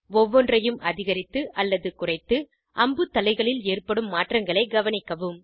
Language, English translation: Tamil, Increase or decrease each one and observe the changes in the arrow heads